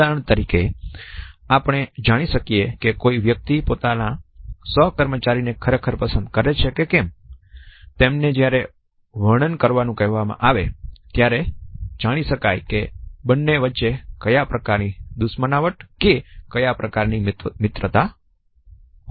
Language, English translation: Gujarati, For example, we could make out whether a person likes the colleague whom he or she has been asked to describe or not or what type of animosity or what level of friendship might exist between the two